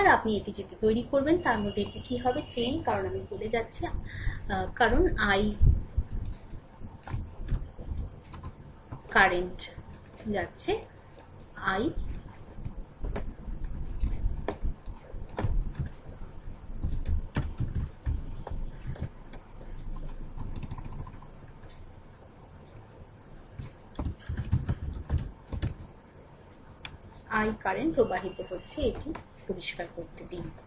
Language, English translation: Bengali, So, if you make it like this then what will happen this 10 into i, because i is flowing through i is flowing let me clear it